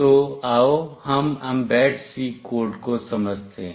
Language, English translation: Hindi, So, let us understand the mbed C code